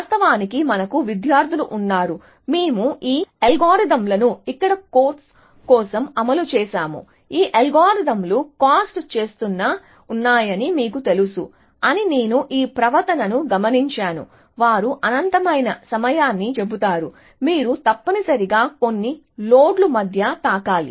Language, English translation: Telugu, And actually we have students, we have implemented these algorithms for the course here, I have observed this behavior that you know these algorithms just keep spends, what they say as infinite amount of time, you will just touching between a few loads essentially